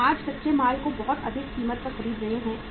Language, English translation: Hindi, We are buying the raw material today at the very high price